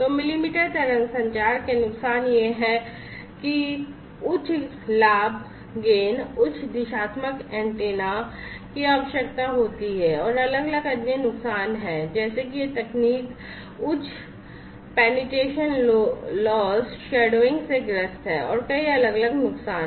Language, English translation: Hindi, So, disadvantages of millimetre wave communication is that there is a need for high gain, and high directional antennas, and there are different other disadvantages such as have you know this technology suffers from high penetration loss, and shadowing, and there are many more different other disadvantages